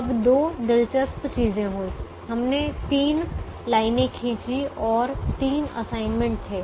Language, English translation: Hindi, we drew three lines and there were three assignments